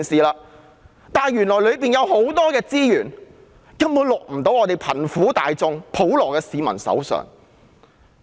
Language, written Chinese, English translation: Cantonese, 可是，當中有很多資源根本未能令貧苦大眾和普羅市民受惠。, But a large portion of the resources simply cannot benefit the underprivileged and the general public